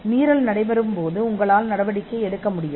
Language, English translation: Tamil, You can take action on an infringement